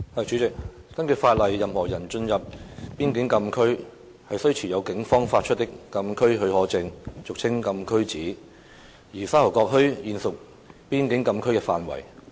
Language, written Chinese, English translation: Cantonese, 主席，根據法例，任何人進入邊境禁區，須持有警方發出的禁區許可證，而沙頭角墟現屬邊境禁區的範圍。, President under the law any person who enters a frontier closed area FCA must hold a closed area permit CAP issued by the Police and Sha Tau Kok Town is now covered by FCA